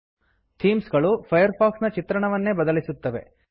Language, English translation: Kannada, A theme Changes how Firefox looks